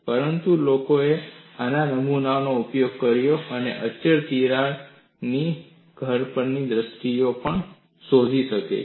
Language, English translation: Gujarati, But people have used such specimens and explode even crack arrest scenarios